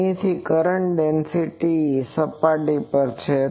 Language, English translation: Gujarati, Here the current density is on the surface